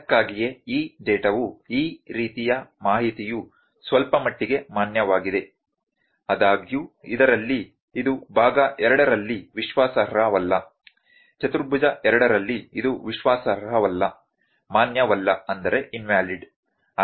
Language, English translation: Kannada, That why this data is this kind of information is somewhat valid; however, in this it is not reliable in part 2, in quadrant 2 it is not reliable not valid